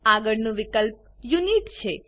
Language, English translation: Gujarati, Next field is Unit